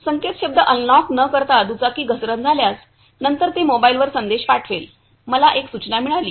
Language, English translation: Marathi, Without unlocking the password if the bike falls off, then also it will send the message to mobile I got a notification